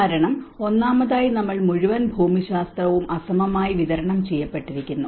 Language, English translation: Malayalam, Because first of all, we are the whole geography has been unevenly distributed